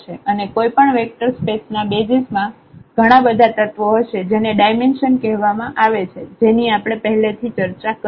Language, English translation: Gujarati, And the number of elements in any basis of a vector space is called the dimension which we have already discussed